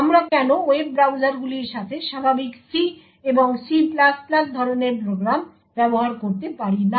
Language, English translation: Bengali, Why cannot we actually use regular C and C++ type of programs with web browsers